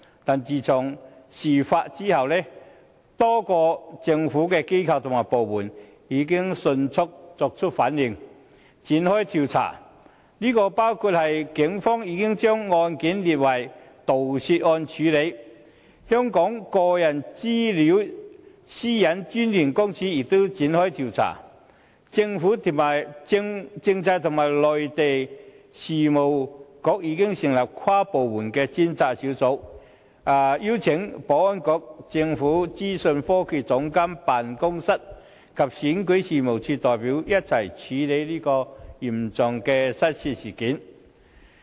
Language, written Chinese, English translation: Cantonese, 但是，自從事發後，多個政府機構和部門已迅速作出反應，展開調查，包括警方已將案件列作盜竊案處理；香港個人資料私隱專員公署亦已展開調查；政制及內地事務局已成立跨部門專責小組，邀請保安局、政府資訊科技總監辦公室及選舉事務處的代表一同處理這宗嚴重的失竊事件。, However since its occurrence many government institutions and departments have promptly responded and launched inquiries including the Police investigation who have classified the case as theft . An inquiry conducted by the Office of the Privacy Commissioner for Personal Data OPCPD is also underway and the Constitutional and Mainland Affairs Bureau has also established an interdepartmental working group comprising representatives from the Security Bureau the Office of the Government Chief Information Officer and REO to handle this serious case of theft